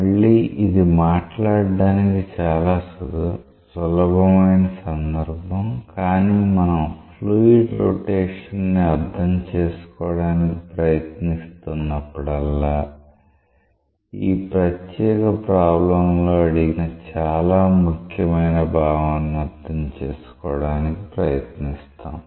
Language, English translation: Telugu, Again, this is a very simple case to talk about, but whenever we are trying to understand the fluid rotation, we will now try to understand a very important concept which is asked in this particular problem